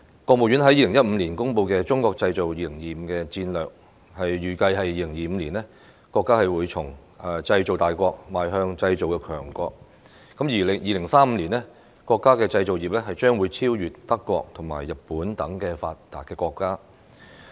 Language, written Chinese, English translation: Cantonese, 國務院在2015年公布的"中國製造 2025" 戰略，預計2025年，國家會從製造大國邁向製造強國，而2035年，國家的製造業將會超越德國和日本等發達國家。, As projected in the Made in China 2025 strategy released by the State Council in 2015 our country will stride forward from a big manufacturing power to a strong manufacturing power in 2025 and the manufacturing sector of our country will overtake developed countries such as Germany and Japan in 2035